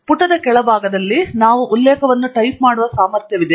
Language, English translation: Kannada, At the bottom of the page we have an ability to type out the reference